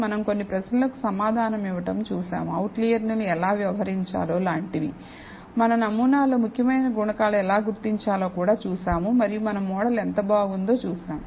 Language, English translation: Telugu, So, we looked at answering some of the question as how to treat outliers, we also saw how to identify significant coefficients in our model and how good our model is